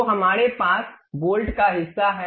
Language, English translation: Hindi, So, we have that bolt portion